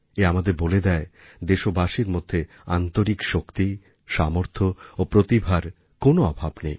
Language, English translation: Bengali, It conveys to us that there is no dearth of inner fortitude, strength & talent within our countrymen